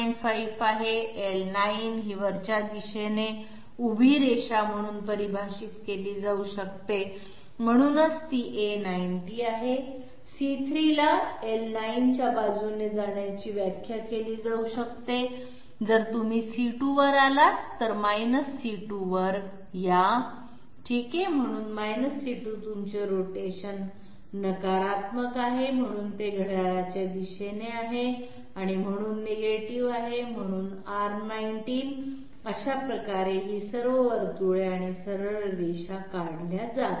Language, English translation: Marathi, 5, L9 can be defined as a vertical line upwards that is why it is A90, C3 can be defined to be driving along L9 if you come to C2 okay come to C2 therefore, your rotation is negative and therefore it is clockwise and therefore negative, so R 19 so this way all these circles and straight lines they have being drawn